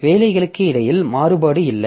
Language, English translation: Tamil, So, we don't have variation between the jobs